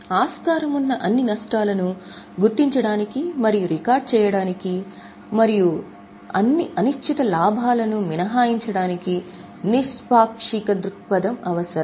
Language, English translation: Telugu, Unbiased outlook is required to identify and record such possible losses and to exclude all uncertain gain